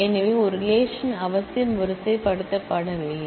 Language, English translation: Tamil, So, a relation is necessarily unordered